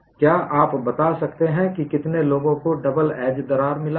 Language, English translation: Hindi, Can you tell me, how many people have got the double edge crack failed